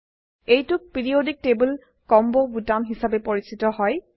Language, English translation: Assamese, This button is known as Periodic table combo button